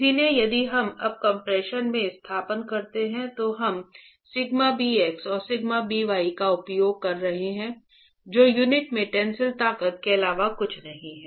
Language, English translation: Hindi, So, if we now substitute in the expression we have been using sigma bx and sigma b y which are nothing but tensile stresses in the unit